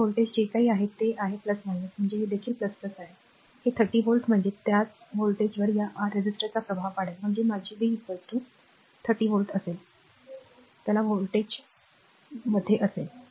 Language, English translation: Marathi, So, this voltage is whatever plus minus means this is also plus minus, this 30 volt means is to same voltage will be impress across this your resistor; that means, my v will be is equal to your 30 volt, right so, same voltage